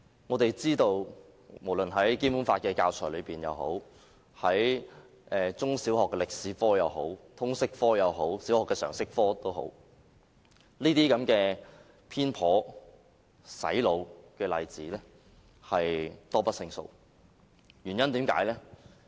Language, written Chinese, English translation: Cantonese, 我們知道無論是《基本法》的教材、中小學的歷史科、通識科或小學的常識科，這些偏頗、"洗腦"的例子多不勝數。, We have thus come to see that brainwashing examples actually abound in the subjects of history in primary and secondary schools in the subject of Liberal Studies and also in the general studies of primary schools